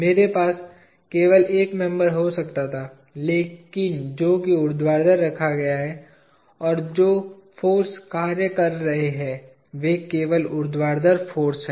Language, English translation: Hindi, I could have just a single member, but vertically placed, and forces that are acting are only vertical forces